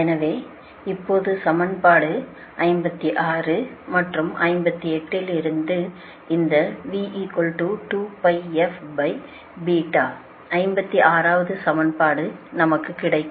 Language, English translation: Tamil, so now, from equation fifty six and fifty eight, right, we will get this